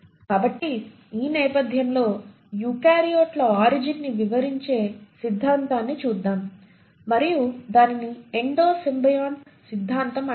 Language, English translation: Telugu, So with this background let us look at the theory which explains the origin of eukaryotes and that is called as the Endo symbiont theory